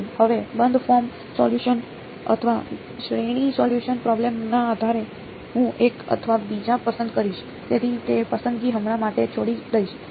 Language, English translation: Gujarati, Now, the closed form solution or a series solution, depending on the problem I will choose one or the other; so will leave that choice for now